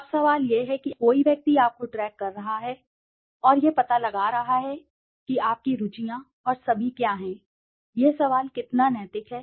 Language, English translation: Hindi, Now the question is, somebody is tracking you and finding out what are your interests and all, the question is how ethical is that